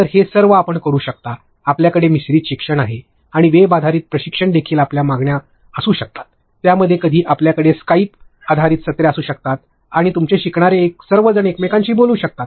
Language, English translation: Marathi, So, all of this you can do we have blended learning and within web based training also you have the demands, within that also sometimes you can have Skype based sessions and your all your learners can speak to each other